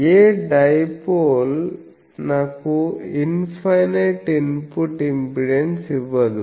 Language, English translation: Telugu, No is in no dipole gives me infinite input impedance